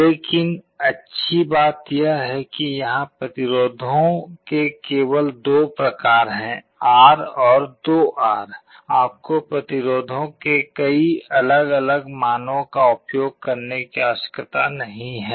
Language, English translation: Hindi, But the good thing is that the values of the resistances are only of 2 types, R and 2 R, you do not need to use many different values of the resistances